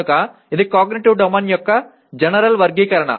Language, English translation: Telugu, So it is taxonomy of cognitive domain general